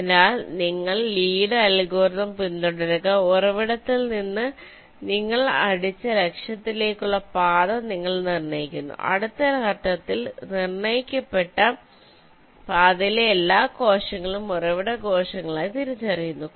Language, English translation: Malayalam, so you follow lees algorithm: you determine the path from the source to the target you have hit and in the next step, all the cells in the determined path are identified as source